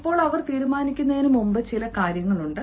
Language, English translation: Malayalam, before they decide, there are certain things they have to ask themselves